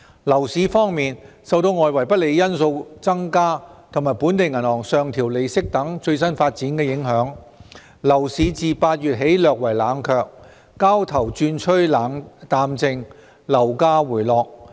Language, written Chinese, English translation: Cantonese, 樓市方面，受外圍不利因素增加和本地銀行上調利率等最新發展影響，樓市自8月起略為冷卻，交投轉趨淡靜，樓價回落。, Regarding the property market affected by the latest developments such as increased unfavourable external factors and upward adjustment of interest rates by local banks the property market has slightly cooled down since August